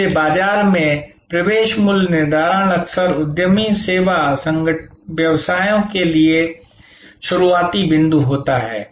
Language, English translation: Hindi, So, market penetration pricing often the starting point for entrepreneur service businesses